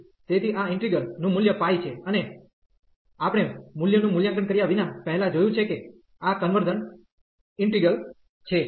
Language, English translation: Gujarati, So, the value of this integral is pi, and we have seen before as well without evaluating the value that this is a convergent integral